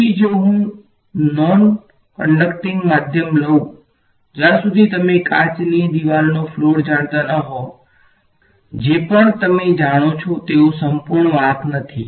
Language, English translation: Gujarati, So, if I take a non conducting medium unless you take you know glass wall floor whatever right you do not they are there are no its not they are not perfect conductors